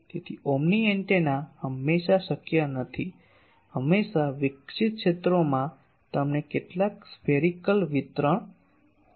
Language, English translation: Gujarati, So, omni antenna is never possible always the radiated fields they will have some spherical distribution